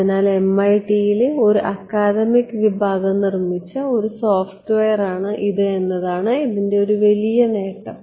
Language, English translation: Malayalam, So, one big advantage of it is a software made by a academic group at MIT